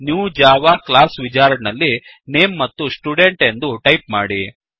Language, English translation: Kannada, In the New Java Class wizard, type the Name as Student